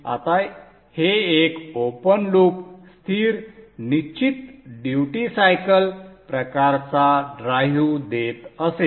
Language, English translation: Marathi, Now this used to give a open loop constant fixed duty cycle kind of a drive